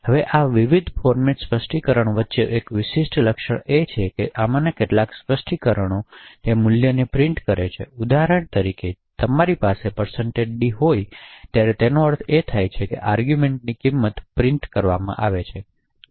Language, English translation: Gujarati, Now one distinguishing feature between these various formats specifiers is that some of these specifiers print the value that was passed for example when you have a %d it would essentially mean that the value in the argument gets printed